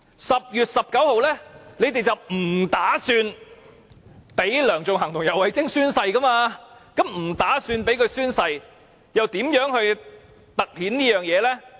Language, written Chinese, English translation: Cantonese, 10月19日，他們計劃不讓梁頌恆及游蕙禎宣誓，既然計劃不讓他們宣誓，又如何突顯這一點？, They had planned not to let Sixtus LEUNG and YAU Wai - ching to take their oaths on 19 October . Since they had planned not to let them take the oaths how could they highlight this point?